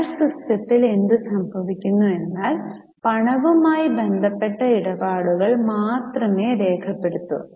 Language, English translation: Malayalam, In cash system of accounting what happens is only those transactions which are related to cash are recorded